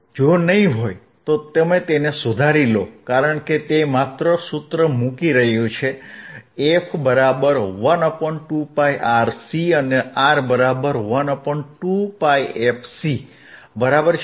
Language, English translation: Gujarati, If not, you correct it because it is just putting formula, f equals to 1 upon 2 pi RC two pi into RC and R equals to 1 upon 2 pi fcC, right